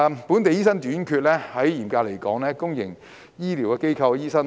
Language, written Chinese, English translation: Cantonese, 本地醫生短缺，嚴格來說是公營醫療機構的醫生短缺。, In the strict sense the shortage of local doctors refers to the shortage of doctors in the public sector